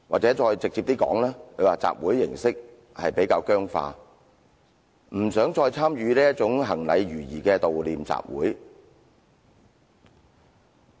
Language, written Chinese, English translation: Cantonese, 再直接一點的說，他們認為集會形式比較僵化，不想再參與這種行禮如儀的悼念集會。, To put it bluntly I will say that in their view the assembly is rather a rigid ritual and they no longer wish to participate in this routine commemorative assembly